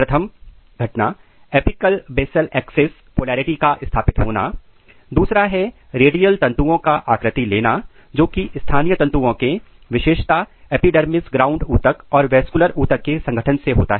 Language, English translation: Hindi, Number 1, the apical basal axis polarity is established, number 2 radial tissue patterning occurs which occurs through the spatial organization of the tissues particularly epidermis ground tissue and vascular tissues